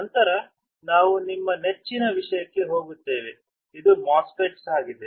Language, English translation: Kannada, Then we will move to our favourite thing which is MOSFET